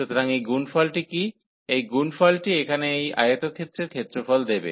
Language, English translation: Bengali, So, what is this product, this product will give the area of this rectangle here